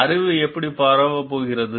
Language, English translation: Tamil, How the knowledge is going to spread